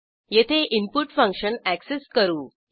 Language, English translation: Marathi, Here we access the input function